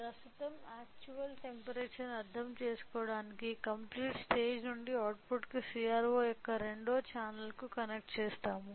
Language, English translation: Telugu, So, in order to understand the actual temperature right now, so, the output from the complete stage, been connected to the second channel of CRO